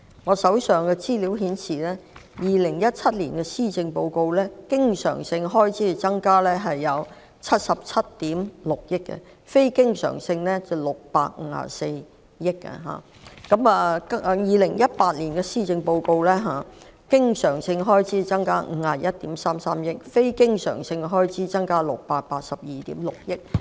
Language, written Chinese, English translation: Cantonese, 我手上的資料顯示，在2017年的施政報告中，經常性開支增加77億 6,000 萬元，非經常性開支則增加654億元；在2018年的施政報告中，經常性開支增加51億 3,300 萬元，非經常性開支則增加682億 6,000 萬元。, According to the data I have on hand the recurrent and non - recurrent expenditures have increased by 7.76 billion and 65.4 billion respectively in the 2017 Policy Address while the recurrent and non - recurrent expenditures have increased by 5.133 billion and 68.26 billion respectively in the 2018 Policy Address